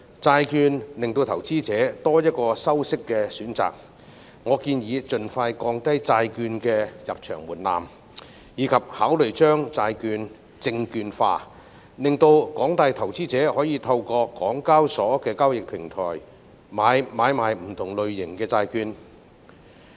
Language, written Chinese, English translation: Cantonese, 債券為投資者提供多一個收息選擇，我建議盡快降低債券的入場門檻及考慮將債券證券化，令廣大投資者可以透過港交所的交易平台買賣不同類型的債券。, Bonds provide investors with another option for interest earning . I suggest the Government to lower the entry threshold of bond trading as soon as possible and consider securitization of bonds so that investors at large can buy and sell different types of bonds through the trading platform of the Hong Kong Stock Exchange